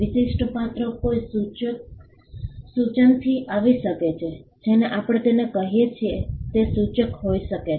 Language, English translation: Gujarati, The distinctive character can come from a suggestion what we call it can be suggestive